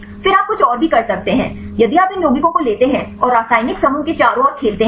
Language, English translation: Hindi, Then you can also do something more; if you take these compounds and play around the chemical groups